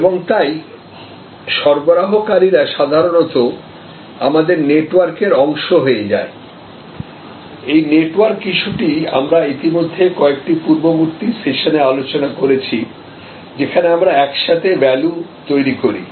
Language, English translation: Bengali, And therefore, suppliers normally or almost part of your network that we have, this network issue we had already discussed earlier in the some of the earlier sessions, where we create the value together